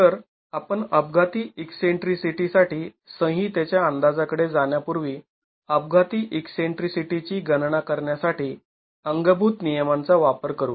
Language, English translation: Marathi, So, let's use thumb rule to calculate the accidental eccentricity before we go to the code estimate of the accidental eccentricity